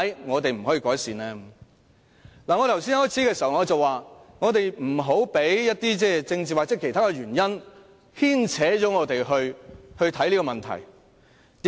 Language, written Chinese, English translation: Cantonese, 我開始發言時說，我們不要被政治或其他原因影響我們如何看待這個問題。, As I pointed out at the outset of my speech our views on this issue should not be affected by political or other reasons